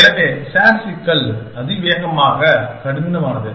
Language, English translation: Tamil, So, the SAT problem is exponentially hard